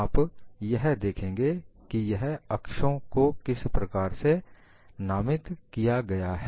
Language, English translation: Hindi, You have to look at how these axes are labeled